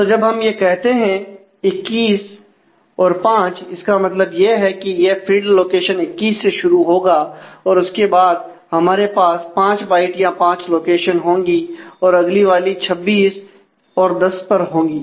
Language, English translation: Hindi, So, when we say twenty one five which we mean that this field will actually start from location 21 and we will have 5 locations 5 bytes, then the next 1 is 26, 10